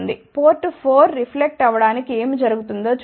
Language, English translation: Telugu, Let us see what happens to the reflection from port 4